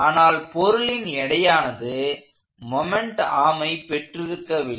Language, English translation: Tamil, The weight of the body does not have a moment arm